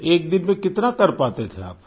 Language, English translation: Hindi, So, in a day, how much could you manage